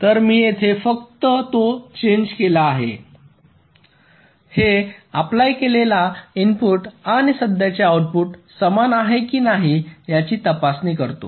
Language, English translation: Marathi, so here i have made just that change which checks whether the applied input and the current output are same or not